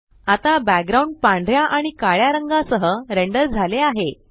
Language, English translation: Marathi, Now the background will be rendered with a black and white gradient